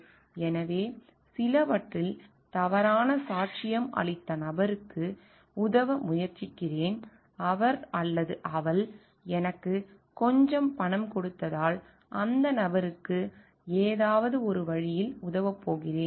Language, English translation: Tamil, So, I am trying to help the person who has given a wrong testimony in some which I am going to help that person in some way because he or she has given me some money